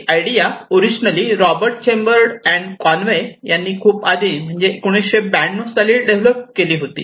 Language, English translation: Marathi, So, this idea came originally developed by famous person Robert Chambers and Conway in 1992, quite long back